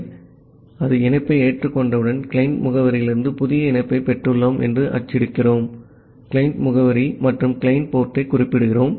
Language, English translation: Tamil, So, after that once it is accepted the connection, we are printing that we have received a new connection from the client address, we are specifying the client address and the client port